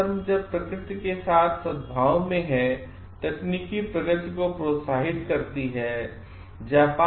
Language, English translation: Hindi, Taoism encourages technological advancement as long as it is harmony with in nature